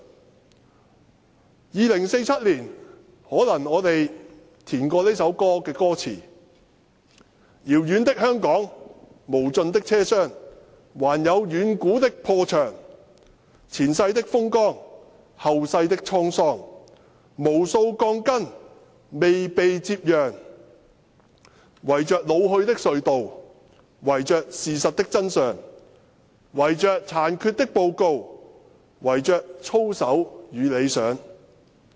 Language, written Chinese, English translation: Cantonese, 在2047年，可能我們會改編這首歌的歌詞為："遙遠的香港，無盡的車廂，還有遠古的破牆，前世的風光，後世的滄桑，無數鋼筋未被接壤，圍着老去的隧道，圍着事實的真相，圍着殘缺的報告，圍着操守與理想。, In 2047 perhaps we should rewrite the lyrics of the song into the following Carriage after carriage rattling into Hong Kong afar The ancient wall in shatters; Past glory turning into a tragedy Countless steel bars in discontinuity; Enclose the ageing tunnel hide the truth Conceal the biased report lay integrity and vision to rest . President we do not want to bury the truth any longer nor do we want to keep our eyes and ears closed . The station is an important public works